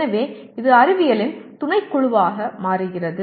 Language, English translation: Tamil, So it becomes a subset of science